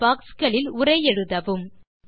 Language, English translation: Tamil, Enter text in these boxes